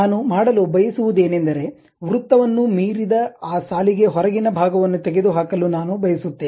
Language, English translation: Kannada, What I want to do is I would like to remove this outside part of this line which is exceeding that circle